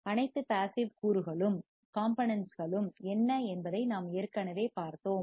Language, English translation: Tamil, We already have seen what are all the passive components